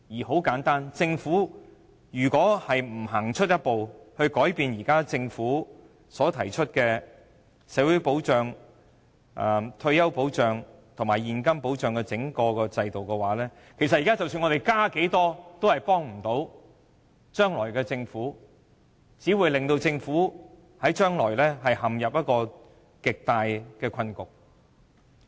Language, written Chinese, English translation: Cantonese, 很簡單，如果政府不走出一步，改變現行的整體社會保障和退休保障制度，不論現在增加多少撥款，也無助將來的政府，只會令將來的政府陷入極大困局。, Simply put regardless of the amount of extra funding to be provided should the Government fail to take a step forward and overhaul the existing social and retirement security systems it will not help the future Government but only plunge it into a dire predicament